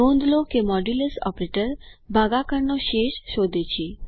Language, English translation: Gujarati, Please note that Modulus operator finds the remainder of division